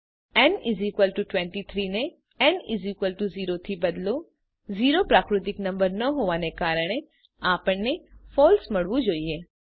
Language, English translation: Gujarati, Change n = 23 to n = 0 Since 0 is not a natural number, we must get a false